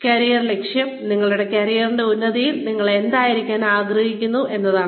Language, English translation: Malayalam, Career objective is, what you want to be, at the peak of your career